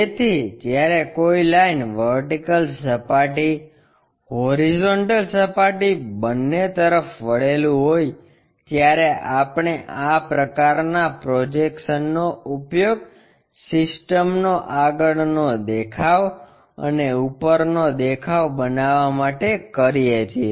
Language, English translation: Gujarati, So, when a line is inclined to both vertical plane, horizontal plane, we have to use this kind of projections to construct this front view and top view of the system